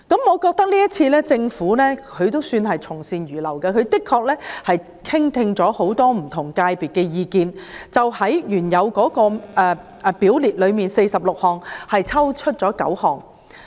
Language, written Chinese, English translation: Cantonese, 我覺得政府今次也算從善如流，因為在聆聽不同界別的意見後，當局在原有表列的46項罪類中剔除了9項。, I think it can be said that the Government has readily accepted good advice this time . After listening to the views from different sectors the authorities have removed nine items from the original 46 listed items of offences